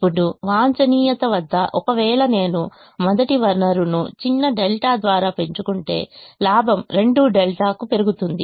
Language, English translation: Telugu, now, at the optimum, if, at the optimum, if i increase the first resource by a small delta, then the profit goes up by two delta